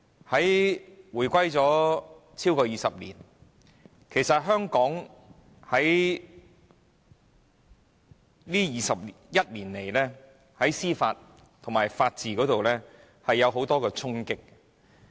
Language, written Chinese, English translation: Cantonese, 香港已回歸超過20年，在這21年來，香港在司法和法治方面受到很多衝擊。, It has been more than 20 years since the establishment of the Hong Kong Special Administrative Region HKSAR and our judicial system and rule of law have been faced with many challenges over the past 21 years